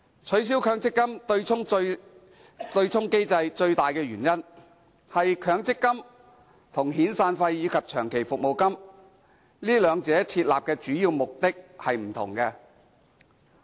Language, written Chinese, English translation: Cantonese, 取消強積金對沖機制的最大原因，是設立強積金與遣散費及長期服務金兩者的主要目的並不相同。, The major reason for abolishing the MPF offsetting mechanism lies in the different objectives behind the implementation of the MPF scheme and the provision of severance and long service payments